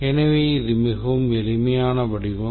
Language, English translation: Tamil, So, very simple concept